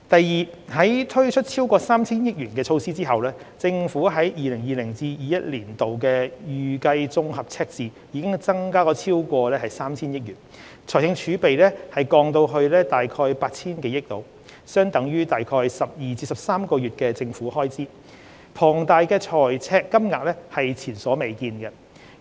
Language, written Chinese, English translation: Cantonese, 二在推出超過 3,000 億元的措施後，政府 2020-2021 年度的預計綜合赤字已增至超過 3,000 億元，財政儲備則降至約 8,000 多億元，相等於約12至13個月的政府開支，龐大的財赤金額是前所未見。, 2 After implementation of the various measures amounting to over 300 billion the Governments consolidated deficit for 2020 - 2021 is expected to increase to over 300 billion . Fiscal reserves will also be reduced to around 800 billion equivalent to around 12 to 13 months of government expenditure . This deficit level is unprecedentedly high